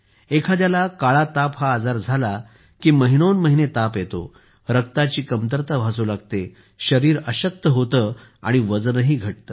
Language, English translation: Marathi, When someone has 'Kala Azar', one has fever for months, there is anemia, the body becomes weak and the weight also decreases